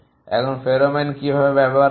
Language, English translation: Bengali, Now, how to the use is pheromone